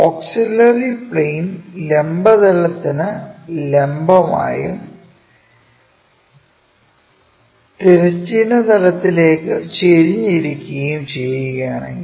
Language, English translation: Malayalam, If the auxiliary plane is perpendicular to vertical plane and inclined to horizontal plane; this is the vertical plane, horizontal plane